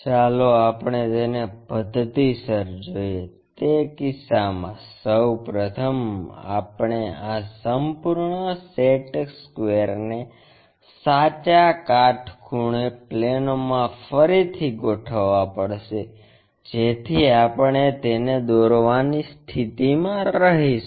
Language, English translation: Gujarati, Let us look at it step by step, in that case first of all we have to realign this entire set square into right perpendicular planes so that we will be in a position to draw it